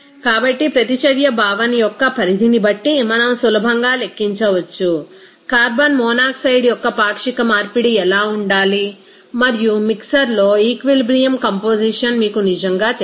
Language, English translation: Telugu, So, we can easily calculate based on that extent of reaction concept, what should be the fractional conversion of carbon monoxide and what really they are you know equilibrium composition in the mixer